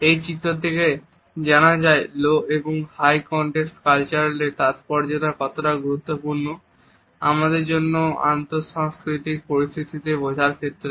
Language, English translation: Bengali, This diagram suggests how the significance of low and high context culture is important for us to understand in any intercultural situations